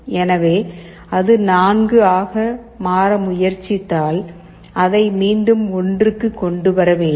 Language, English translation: Tamil, So, if it tries to become 4, you again bring it back to 1